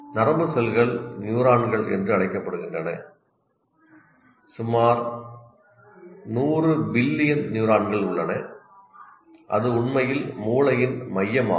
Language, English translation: Tamil, Nerve cells are called neurons and represent about, there are about 100 billion neurons